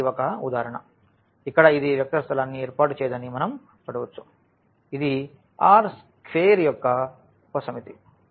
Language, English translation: Telugu, So, this is one example where we can see that this does not form a vector space though here the; this is a subset of this R square